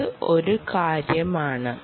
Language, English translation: Malayalam, that is the point